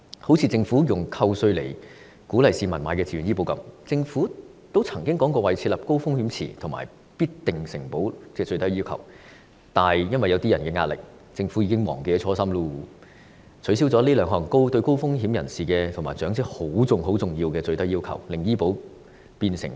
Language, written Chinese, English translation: Cantonese, 正如政府以扣稅鼓勵市民購買的自願醫保，政府曾經說過會設立高風險池及規定"必定承保"的最低要求，但最後由於某些人施加壓力，政府現時已經忘記初心，取消了這兩項對高風險人士和長者很重要的最低要求，令自願醫保變成雞肋。, Take the Governments provision of tax deduction to encourage people to take out Voluntary Health Insurance Scheme VHIS policies as an example . The Government once said that two minimum requirements that is the establishment of a high - risk pool and the provision of guaranteed acceptance would be put in place . But the Government has succumbed to the pressure of certain people forgetting its original intent and removed these two minimum requirements which are most important to high - risk individuals and elderly people turning VHIS into a piece of chicken rib